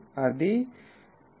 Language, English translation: Telugu, So, it becomes 16